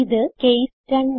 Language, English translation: Malayalam, This is case 2